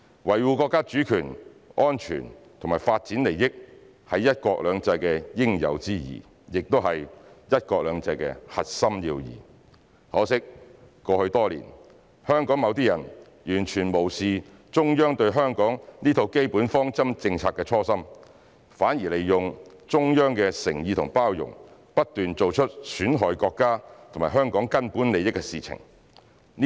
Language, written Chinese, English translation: Cantonese, 維護國家主權、安全和發展利益，是"一國兩制"的應有之義，也是"一國兩制"的核心要義。可惜，過去多年，香港某些人完全無視中央對香港這套基本方針政策的初心，反而利用中央的誠意和包容，不斷做出損害國家和香港根本利益的事情。, While safeguarding Chinas national sovereignty security and development interests is a necessary requirement of the one country two systems policy and the crux of the successful implementation of one country two systems over the years some people in Hong Kong have completely ignored the original aspiration of the Central Authorities in implementing these basic policies regarding Hong Kong . Instead they took advantage of the Central Authorities sincerity and tolerance and repeatedly committed acts detrimental to the fundamental interests of the country and Hong Kong